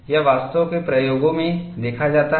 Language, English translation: Hindi, It is indeed observed in experiments